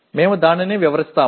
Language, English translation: Telugu, We will explain that